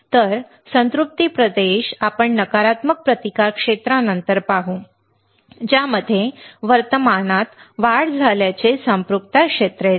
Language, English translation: Marathi, So, saturation region let us see after the negative resistance region which saw an increase in current comes the saturation region